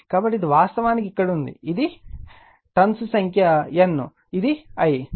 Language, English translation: Telugu, So, this is actually here it is number of turns is N, it is I right